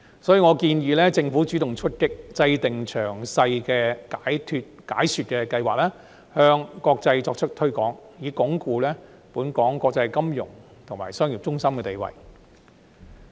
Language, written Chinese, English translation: Cantonese, 所以，我建議政府主動出擊，制訂詳細的解說計劃，向國際社會作出推廣，以鞏固本港國際金融及商業中心的地位。, Therefore I suggest that the Government should go on the attack by drawing up a detailed explanation plan and promoting it to the international community so as to consolidate Hong Kongs status as an international financial and business centre